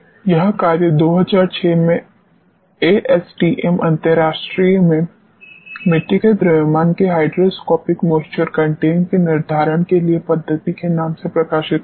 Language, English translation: Hindi, This work was published in ASTM international in 2006 methodology for determination of hygroscopic moisture content of the soil mass